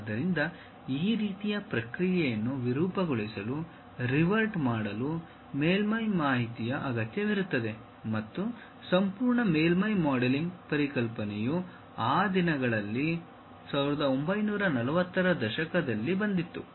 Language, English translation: Kannada, So, deforming, riveting this kind of process requires surface information and entire surface modelling concept actually came in those days 1940's